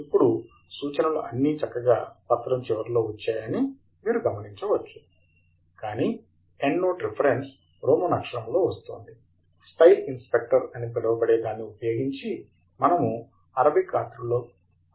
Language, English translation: Telugu, And now, you notice that the references have all come nicely at the bottom of the document, but then, the Endnote Reference is coming in the Roman letter but we could change it to the Arabic format by using what is called as the Style Inspector